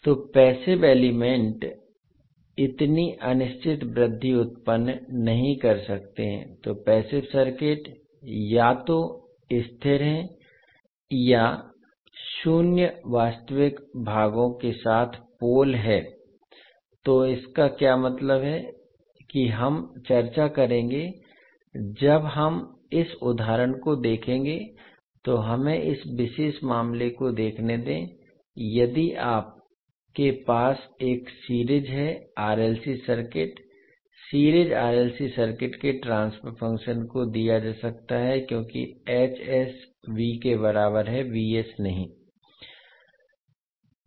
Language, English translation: Hindi, So the passive elements cannot generate such indefinite growth so passive circuits either are stable or have poles with zero real parts so what does it mean we will as discuss when we will see this particular example let us see this particular case, if you have a series r l c circuit the transfer function of series r l c circuit can be given as h s is equal to v not by v s